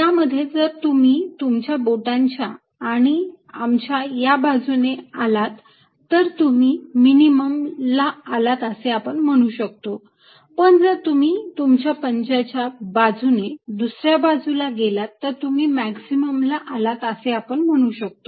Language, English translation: Marathi, in this, if you come from the side of your fingers and thumb, you are hitting a minimum, but if you go from the palm to the other side, you hitting a maximum